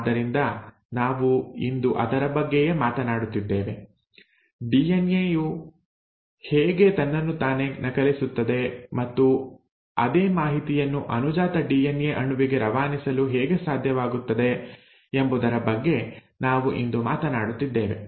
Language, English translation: Kannada, So that is what we are talking today, we are talking today exactly how a DNA is able to copy itself and pass on the same information to the daughter DNA molecule